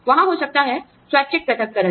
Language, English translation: Hindi, There could be, voluntary separation